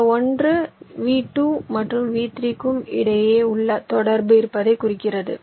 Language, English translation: Tamil, this one indicates there is one connection between v two and v three, and so on